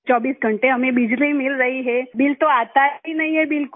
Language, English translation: Hindi, We are getting electricity for 24 hours a day…, there is no bill at all